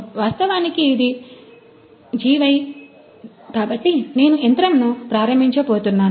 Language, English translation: Telugu, Actually this is the GY ; so I am going to switch on the machine